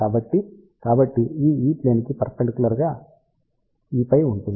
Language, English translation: Telugu, So, this is E plane and perpendicular to that will be e phi in phi equal to 90 degree plane